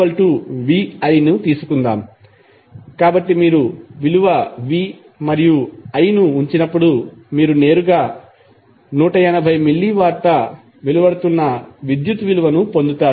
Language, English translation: Telugu, Let us take 1 formula like P is equal to V I, so when you put value V and I you directly get the value of power dissipated that is 180 milliwatt